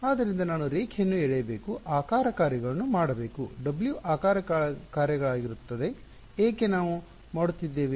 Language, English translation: Kannada, So, I should draw line, shape functions right, W will be the shape functions why because we are doing